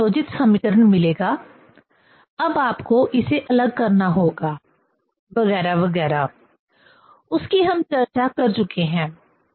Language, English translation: Hindi, This will get coupled equation; now you have to decouple it, etcetera, etcetera; that we have discussed